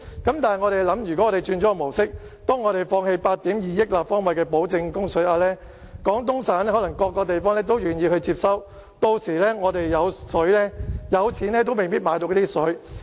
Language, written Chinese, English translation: Cantonese, 但是，試想想，若轉換了模式，放棄8億 2,000 萬立方米的保證供水額，廣東省各地可能都願意接收，屆時我們可能有錢也未必買得到水。, Let us consider this If we adopt the other approach and surrender the water quota which secures a water supply of 820 million cu m many municipalities in Guangdong Province are willing to take over . Then it may be hard for us to purchase water even if we have money